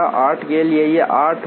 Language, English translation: Hindi, For 7 it will be 12